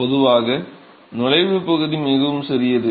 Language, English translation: Tamil, So, typically the entry region is very small